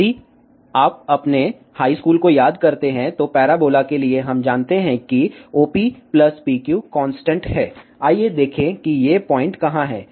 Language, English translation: Hindi, If you recall your high school, for parabola we know that OP plus PQ is constant, let us see where are these points